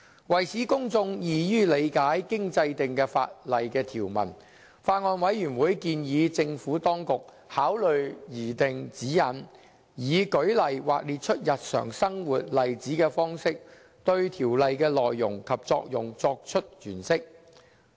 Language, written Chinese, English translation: Cantonese, 為使公眾易於理解經制定的法例條文，法案委員會建議政府當局考慮擬訂指引，以舉例或列出日常生活例子的方式，對條例的內容及作用作出詮釋。, To assist the public to better understand the enacted statutory provisions the Bills Committee advised the Administration to consider drawing up guidelines with reference to examples or real - life scenarios for interpreting and giving effect to the provisions